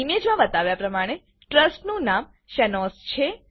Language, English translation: Gujarati, In the image shown, the name of the trust is Shanoz